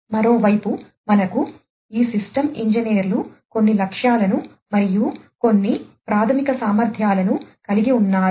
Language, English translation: Telugu, On the other hand, we have these system engineers who have certain objectives and have certain fundamental capabilities